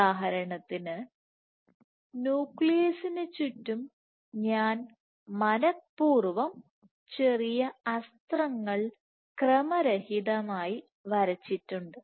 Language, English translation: Malayalam, So, for example, right around the nucleus I have intentionally drawn small arrows in random direction